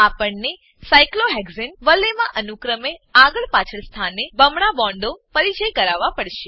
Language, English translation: Gujarati, We have to introduce double bonds at alternate positions in the cyclohexane ring